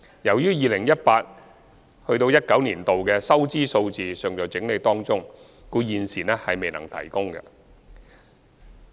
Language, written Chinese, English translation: Cantonese, 由於 2018-2019 年度的收支數字尚在整理中，故此現時未能提供。, Since the revenue and expenditure figures for 2018 - 2019 are being compiled we are unable to provide the relevant information for the time being